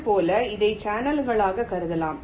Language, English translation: Tamil, similarly, this can be regarded as channels